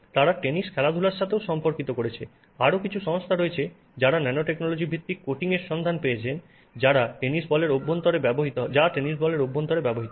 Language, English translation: Bengali, There are other companies which have looked at nanotechnology based coatings which are used inside the tennis ball